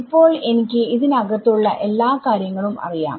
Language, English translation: Malayalam, So, now I know everything inside this